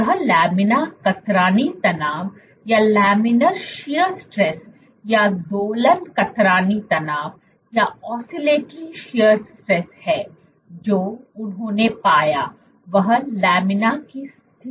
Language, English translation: Hindi, This is laminar shear stress or oscillatory shear stress and what they found was under laminar conditions